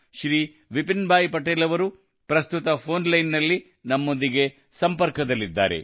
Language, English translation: Kannada, Shriman Vipinbhai Patel is at the moment with us on the phone line